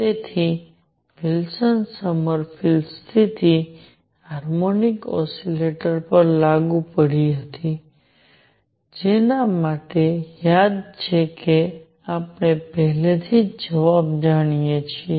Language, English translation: Gujarati, So, Wilson Sommerfeld condition applied to a harmonic oscillator for which recall that we already know the answer